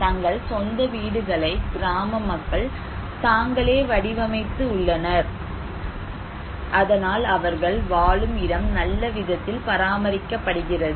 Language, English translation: Tamil, Villagers have designed their own houses; therefore; the dwelling units is very well maintained